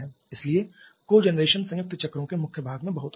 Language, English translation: Hindi, So, cogeneration is very much in the heart of the things for combined cycles